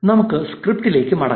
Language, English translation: Malayalam, Let us go back to the script